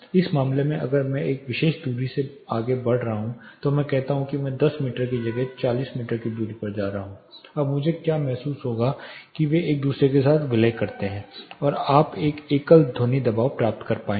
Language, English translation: Hindi, In this case now if I am moving further from a particular distance say I am at 10 meter instead I am going to say 40 meter distance what is this feel like, they merge with each other and you will be able to get one single sound pressure